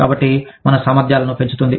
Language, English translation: Telugu, So, increasing our competencies